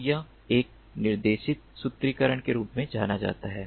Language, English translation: Hindi, so this is known as a guided formulation